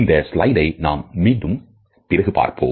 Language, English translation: Tamil, Later on, we would refer to this slide again